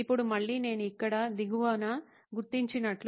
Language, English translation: Telugu, Now again, this as I have marked at the bottom here is an assumption